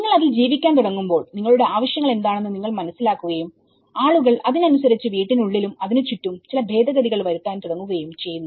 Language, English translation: Malayalam, When you start living in it, you realize that you know, what you need and accordingly people start amending that, not only within the house, around the house